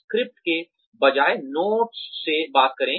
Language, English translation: Hindi, Talk from notes, rather than from a script